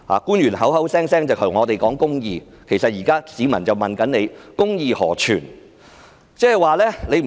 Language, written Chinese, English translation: Cantonese, 官員口口聲聲對我們說公義，但現在市民則問公義何存？, The officials keep talking to us about justice but now the people ask where on earth justice is